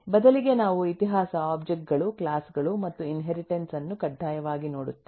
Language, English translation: Kannada, rather, we will mandatorily look for the history: objects, classes and inheritance